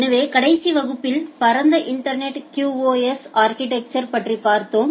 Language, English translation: Tamil, So, in the last class, we have looked into the broad internet QoS architecture